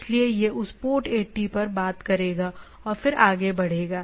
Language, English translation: Hindi, So, it will talk to that port 80 and then go on